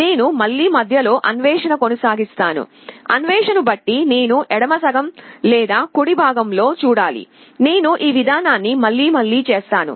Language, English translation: Telugu, I again probe in the middle, depending on the probe either I have to see in the left half or the right half; I repeat this process